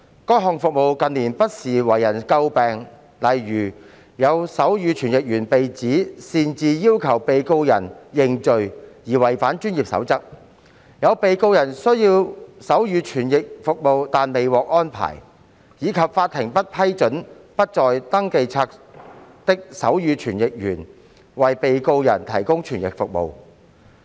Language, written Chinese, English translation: Cantonese, 該項服務近年不時為人詬病，例如有手語傳譯員被指擅自要求被告人認罪而違反專業守則、有被告人需要手語傳譯服務但未獲安排，以及法庭不批准不在登記冊的手語傳譯員為被告人提供傳譯服務。, Such service has been subjected to criticism from time to time in recent years . For instance a sign language interpreter was alleged to have breached the codes of professional conduct by requesting on ones own volition the defendant to plead guilty a defendant was in need of sign language interpretation service but such service was not arranged and the court did not permit a sign language interpreter who was not on the register to provide interpretation service for a defendant